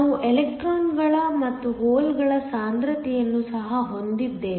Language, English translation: Kannada, We also have the concentration of the electrons and holes